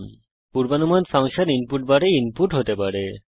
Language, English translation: Bengali, The predicted function can be input in the input bar